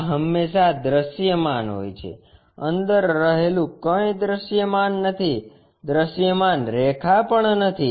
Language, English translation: Gujarati, This is always be visible, inside one not visible, not visible lines